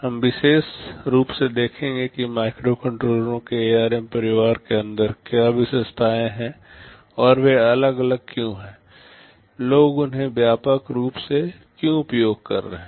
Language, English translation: Hindi, We shall specifically see what are the features that are inside the ARM family of microcontrollers and why they are different, , why people are using them so widely